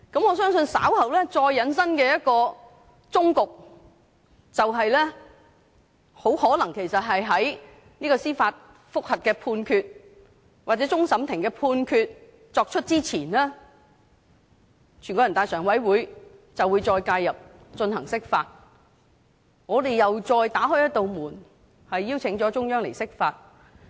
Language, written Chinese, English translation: Cantonese, 我相信稍後再引申出的一個終局，便是很可能在就這項司法覆核作出判決或終審法院作出判決前，全國人民代表大會常務委員會會再介入進行釋法，這樣我們又再打開一道門，邀請中央釋法。, I believe that later on the endgame that will likely arise is that before the ruling on the judicial review or the ruling by the Court of Final Appeal is made the Standing Committee of the National Peoples Congress NPCSC will intervene again by interpreting the Basic Law . In this way we will again open a door and invite the Central Authorities to interpret the Basic Law